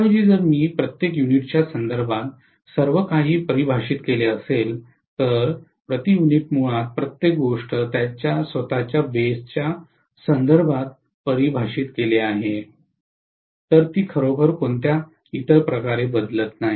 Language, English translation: Marathi, Rather than this if I had defined everything in terms of per unit, the per unit basically define everything with respect to its own base, it doesn’t really change it in any other way